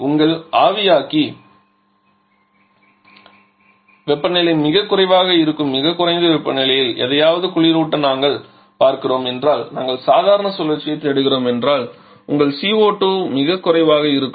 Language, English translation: Tamil, Now the condenser temperature generally is fixed by the atmospheric consideration but even we are looking to refrigerate something at very low temperatures that is your evaporator temperature is too low then if we are looking for just the normal cycle then your CO2 will be extremely low